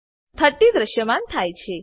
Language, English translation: Gujarati, 30 is displayed